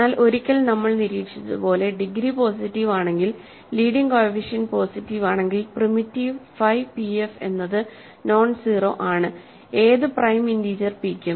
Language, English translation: Malayalam, But as we observed here once the degree is positive and leading coefficient is positive primitiveness is characterized by phi p f is nonzero by any integer p, prime integer p